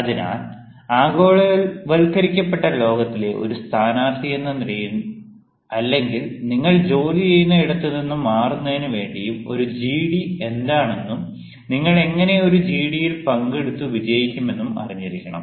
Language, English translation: Malayalam, hence, as a candidate, in a present day world, in a globalized world, where you are looking for jobs, where you are looking for change in your jobs and all, it has become quite mandatory for you to know what actually is a gd and how you can participate in order to be successful in a gd